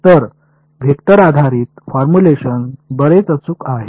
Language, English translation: Marathi, So, vector based formulations are much more accurate